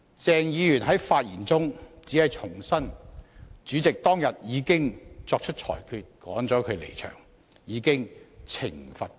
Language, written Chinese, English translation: Cantonese, 鄭議員在發言中只重申主席當天已作出裁決趕他離場，已對他作出懲罰。, In his speech Dr CHENG only reiterated that the President had already made the ruling that him be removed from the Chamber that day which was already a punishment to him